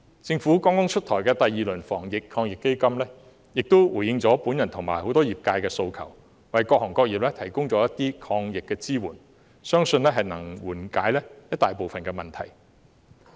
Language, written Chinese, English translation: Cantonese, 政府剛剛出台的第二輪防疫抗疫基金亦回應了我和很多業界人士的訴求，為各行各業提供了一些抗疫支援，相信能夠緩解一大部分的問題。, The second round of AEF introduced by the Government lately has addressed the requests made by me and members of many industries providing anti - epidemic support for various professions and sectors . I believe it can largely alleviate the problems